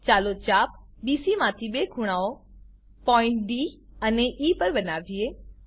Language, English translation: Gujarati, lets subtend two angles from arc BC to points D and E